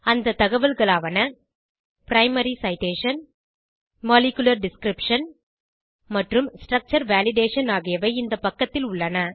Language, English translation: Tamil, Information like * Primary Citation * Molecular Description and * Structure Validationare available on this page